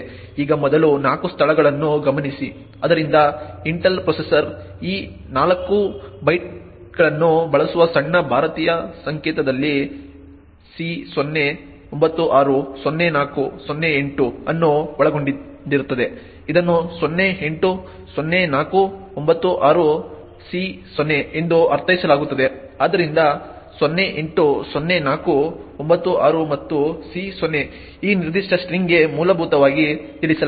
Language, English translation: Kannada, Now note the first 4 locations, so that contains of C0, 96, 04, 08 in little Indian notation which Intel processor use these 4 bytes would be interpreted as 08, 04, 96, C0, so 08, 04, 96 and C0 is essentially addressed for this particular string